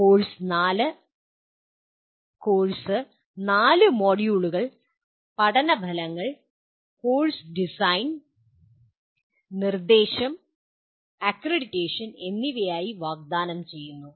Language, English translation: Malayalam, The course is offered as 4 modules, learning outcomes, course design, instruction, and accreditation